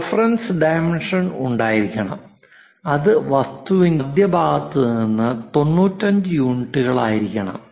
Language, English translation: Malayalam, There should be a reference dimension, something like this is 95 units from the object from this center to this one is 95